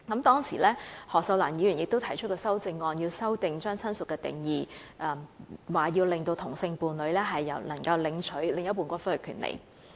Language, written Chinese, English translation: Cantonese, 當時，前議員何秀蘭提出了修正案，要求修改親屬的定義，令同性伴侶可享有領取另一半的骨灰的權利。, Back then the former Member of the Legislative Council Cyd HO had put forth the amendment to change the definition of relative so that same - sex partners might be given the right to claim the ashes of their deceased partners